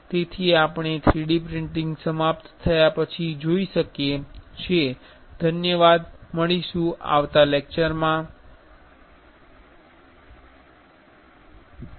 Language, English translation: Gujarati, So, we can see after the 3D printing finish